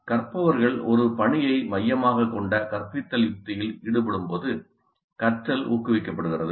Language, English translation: Tamil, Learning is promoted when learners engage in a task centered instructional strategy